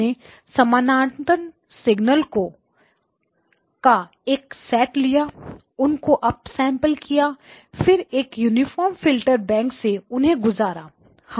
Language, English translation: Hindi, We have taken a set of parallel signals up sample them pass them through uniform Filter Bank, right